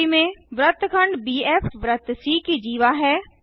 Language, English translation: Hindi, In the figure BF is the chord to the circle c